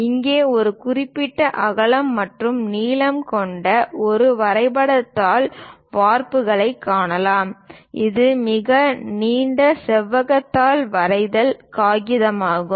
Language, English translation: Tamil, So, here we can see a drawing sheet template having certain width and a length; it is a very long rectangular sheet drawing paper